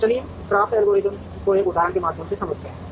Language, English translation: Hindi, So, let us explain the CRAFT algorithm through an example